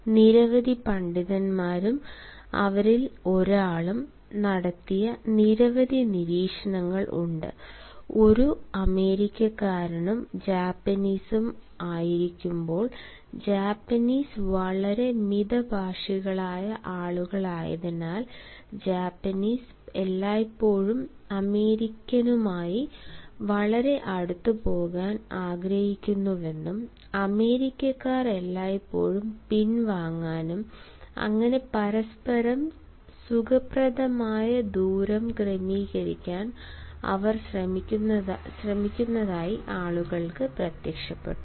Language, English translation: Malayalam, there are several observations made by several scholars, and one of them is: while the americ, while an american and japanese, they were interacting, since the japanese are very reserved people and the japanese always wanted to go very close to the american and the american was always trying to withdraw and in order to adjust each others comfortable distances, they ultimately appeared to the people as if they were dancing because they are looking for each others spaces